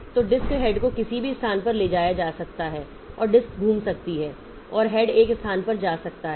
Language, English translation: Hindi, So, disk head can be moved to any place and the disc can rotate and the head can go to one place